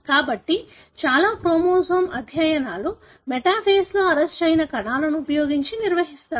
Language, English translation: Telugu, So, most of the chromosome studies, therefore are conducted using cells that are arrested in the metaphase